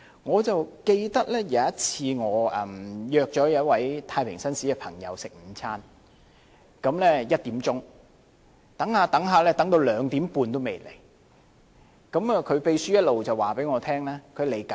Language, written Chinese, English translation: Cantonese, 我記得有一次，我約了一位太平紳士朋友在下午1時午膳，等到2時半，他還未到，他的秘書一直通知我他在途中。, I recall that I once asked a JP to have lunch with me at 1col00 pm but at about 2col30 pm he still did not appear while his secretary kept on telling me that he was on his way